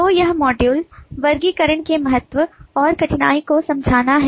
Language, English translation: Hindi, so this module is to understand the importance and difficulties of classification